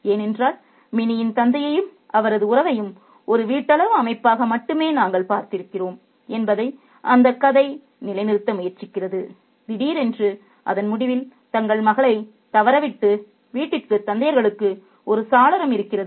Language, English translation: Tamil, Because all along we have seen only Minnie's father and his relationship as a domestic setup that the story tries to uphold and suddenly at the end of it we have a window into other fathers who are missing their daughters back home